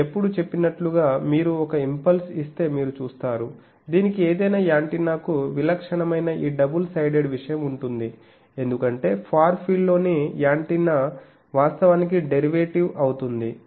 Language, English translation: Telugu, As I said always you see if you give an impulse, it will have this double sided thing that is typical of any antenna, because antenna in the far field actually puts derivative